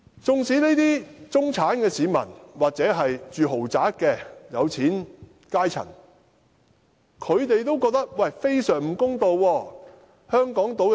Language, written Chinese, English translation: Cantonese, 這些中產市民或住豪宅的有錢階層亦覺得非常不公道。, These middle - class people or the wealthy class living in luxury flats also consider it very unfair